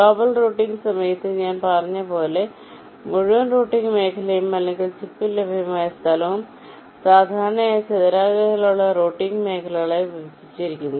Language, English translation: Malayalam, during global routing, as i said you recall our earlier lectures the entire routing region, or space that is available on the chip, that is typically partitioned into a set of rectangular routing regions